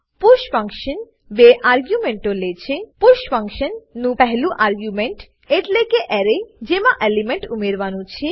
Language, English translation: Gujarati, push function takes 2 arguments 1st argument to the push function, is the Array in which to add an element